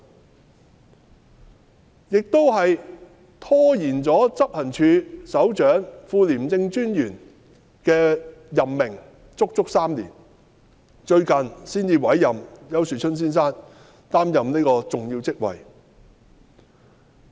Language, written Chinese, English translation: Cantonese, 此外，廉署亦拖延了執行處首長及副廉政專員的任命足足3年，最近才委任丘樹春先生擔任這個重要職位。, In addition ICAC had delayed the appointment of the Head of Operations and the Deputy Commissioner of ICAC for a good three years and Mr Ricky YAU was only recently appointed to fill such an important position